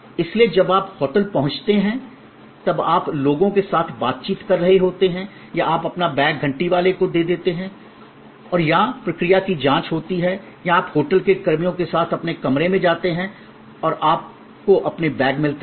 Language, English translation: Hindi, So, when you are interacting with the people when you arrive at the hotel or you give your bags to the bell person or there is a checking in process or you go to your room with the hotel personnel and you receive your bags